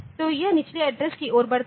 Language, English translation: Hindi, So, it grows towards the lower address